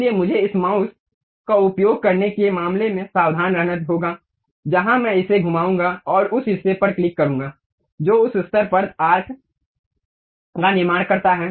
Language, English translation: Hindi, So, I have to be careful in terms of using this mouse, where I am going to really move and click that portion it construct arc up to that level